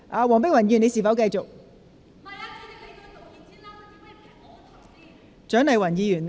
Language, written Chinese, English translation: Cantonese, 黃碧雲議員，你是否想繼續發言？, Dr Helena WONG do you wish to continue with your speech?